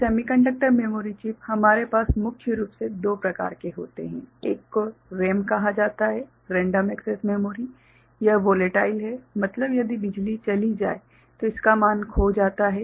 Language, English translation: Hindi, So, in semiconductor memory chips we have mainly two kinds of them, one is called RAM; Random Access Memory; this is volatile means if power goes the value gets lost